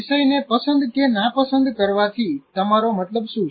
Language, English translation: Gujarati, What do you mean by liking or disliking the subject